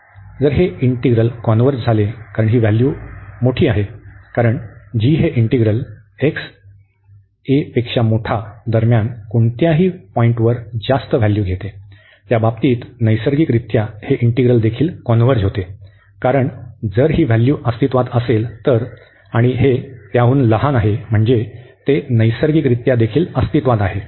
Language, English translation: Marathi, So, if this integral converges if this integral converges, because and this is the larger value, because g is taking a larger value at any point x greater than a so, in that case naturally that this integral also converges, because if this value exists and this is a smaller than that so naturally this also exist